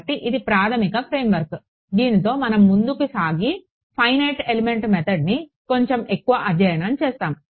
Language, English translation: Telugu, And so, this is the basic framework with which we will sort of go ahead and study the finite element method little more ok